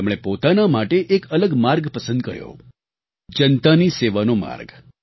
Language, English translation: Gujarati, He chose a different path for himself a path of serving the people